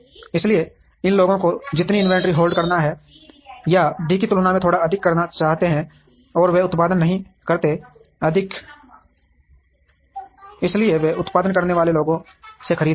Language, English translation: Hindi, So, the amount of inventory that these people would like to hold, or would like to have is a little more than D, and they do not produce, so they will buy from the people who produce